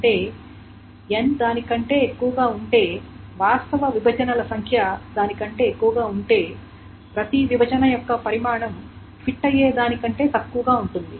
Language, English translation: Telugu, So that means if N is more than that if the actual number of partitions is more than then then each partition the size of each partition will be less than what can be fit